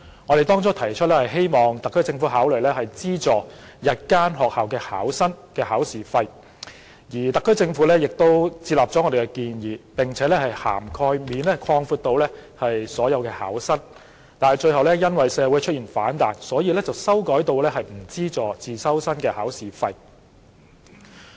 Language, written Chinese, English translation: Cantonese, 我們原意是希望特區政府考慮資助日校考生的考試費，而特區政府亦接納了我們的建議，並把涵蓋範圍擴闊至所有考生，但最後因為社會出現反彈，而決定不為自修生代繳考試費。, Our original intention was based on the hope that the Special Administrative Region SAR Government would consider subsidizing the examination fees for day school candidates . The SAR Government accepted our proposal and extended the eligibility to cover all candidates . Unfortunately at last it decided not to pay the examination fees for private candidates due to the reaction in society